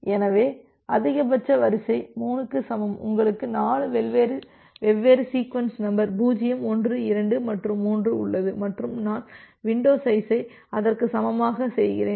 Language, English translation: Tamil, So, max sequence equal to 3 means, you have 4 different sequence number 0 1 2 and 3 and I am making window size equal to that